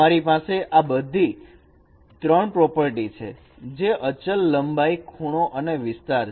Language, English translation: Gujarati, In addition to them, you have these three other properties invariants, length, angle and area